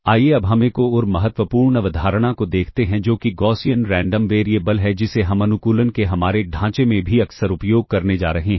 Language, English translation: Hindi, Let us now, continue looking at another important concept that is of the Gaussian random variable, which we are also going to use frequently in our framework of optimization